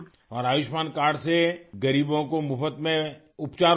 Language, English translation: Urdu, And there is free treatment for the poor with Ayushman card